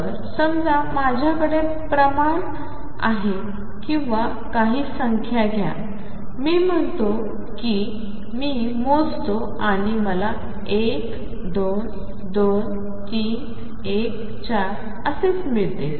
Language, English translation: Marathi, So, suppose I have a quantity or say take some numbers, let us say I measure and I get 1 2 2 3 1 4 and so on